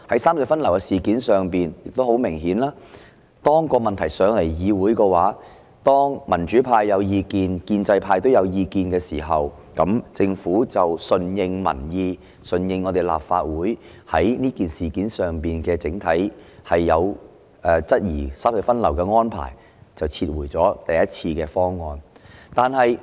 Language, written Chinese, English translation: Cantonese, 三隧分流事件上明顯可見，當本會討論有關問題時，民主派表示有意見，建制派亦表示有意見，政府便順應民意、順應立法會在這件事上對三隧分流安排的整體質疑，撤回第一次的方案。, Notably in the case of traffic redistribution among the three road harbour crossings after Members from both the pro - establishment and pro - democracy camps had expressed negative views during their discussion on the issue in this Council the Government went with public opinion and addressed Members overall doubts about the traffic redistribution arrangements by withdrawing the proposal put forward the first time